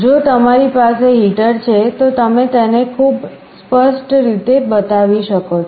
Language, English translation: Gujarati, If you have a heater you can show it in a very clear way